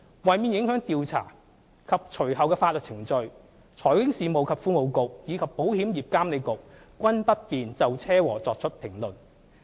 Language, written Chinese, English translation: Cantonese, 為免影響調查及隨後的法律程序，財經事務及庫務局和保險業監管局均不便就車禍作出評論。, In order not to affect the investigation and subsequent legal proceedings the Financial Services and the Treasury Bureau and IA will not comment on the accident